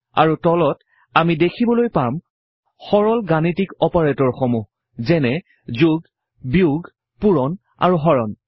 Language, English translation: Assamese, And at the bottom, we see some basic mathematical operators such as plus, minus, multiplication and division